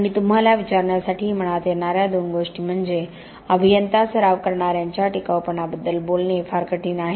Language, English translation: Marathi, And couple of things that come to mind to ask you is that it is very difficult to talk about durability to practicing engineers